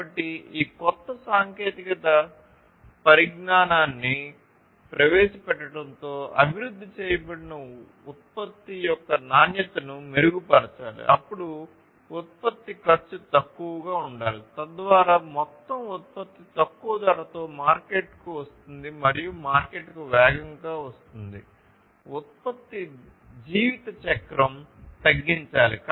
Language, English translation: Telugu, So, the quality of the product that is developed should be improved with the introduction of these newer technologies, then the cost of the production should be less, so that the overall product comes to the market at a reduced price and comes faster to the market, the production lifecycle should be reduced